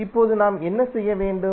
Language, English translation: Tamil, Now what we have to do